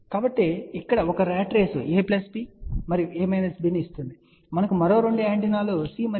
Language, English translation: Telugu, So, one ratrace here will give A plus B and A minus B, now we have 2 other antennas C and D